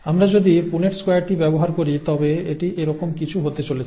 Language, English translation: Bengali, If we work out the Punnett square, it is going to be something like this